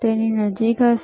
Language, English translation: Gujarati, So, it will be close